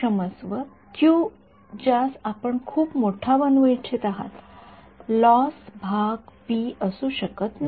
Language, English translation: Marathi, Sorry q is what you want to make very high right the loss part may not p